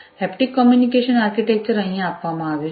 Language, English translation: Gujarati, Haptic communication architecture is given over here